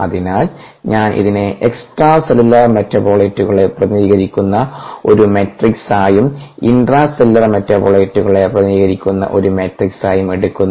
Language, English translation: Malayalam, so i represented this as a matrix that represent extracellular metabolite and a matrix that represent intracellular metabolite